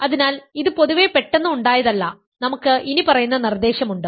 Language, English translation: Malayalam, And so, that is a not an accident in general we have the following proposition